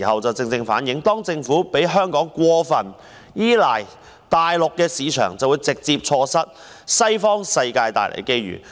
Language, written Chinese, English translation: Cantonese, 這正好反映政府讓香港過分依賴大陸市場，便會直接錯失西方世界帶來的機遇。, This precisely reflects that the Governments heavy reliance on the Mainland market would directly result in the loss of opportunities presented by the Western world